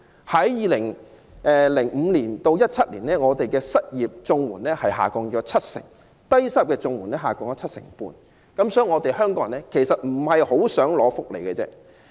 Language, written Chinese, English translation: Cantonese, 在2005年至2017年，我們的失業綜援下降七成，低收入綜援下降七成半，顯示香港人不大希望領取福利。, Between 2005 and 2017 the number of unemployment CSSA cases has decreased by 70 % and that of low - income cases has decreased by 75 % which is evident that the people of Hong Kong do not want to live on dole